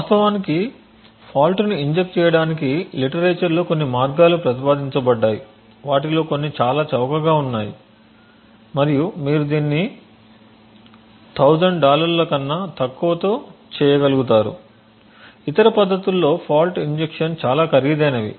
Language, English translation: Telugu, In order to actually inject the fault there have been several ways proposed in the literature some of them are extremely cheap and you could actually be able to do it with less than a 1000 dollars, while other techniques were fault injection are much more expensive